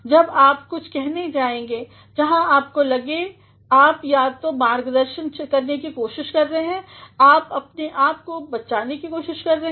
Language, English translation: Hindi, When you are going to say something, where you feel you are either trying to guide yourself, you are trying to defend yourself